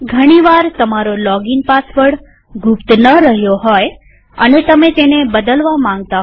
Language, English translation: Gujarati, Sometimes your login password may get compromised and/or you may want to change it